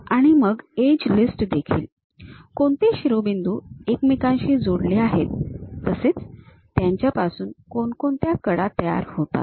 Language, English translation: Marathi, And then something about edge list, what are those vertices connected with each other; so, that it forms an edge